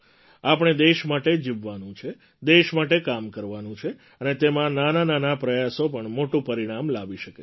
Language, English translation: Gujarati, We have to live for the country, work for the country…and in that, even the smallest of efforts too produce big results